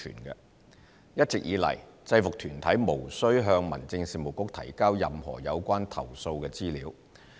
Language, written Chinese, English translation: Cantonese, 一直以來，制服團體無需向民政事務局提交任何有關投訴的資料。, All along UGs are not required to submit information about complaints to the Home Affairs Bureau